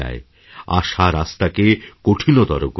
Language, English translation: Bengali, Expectations make the path difficult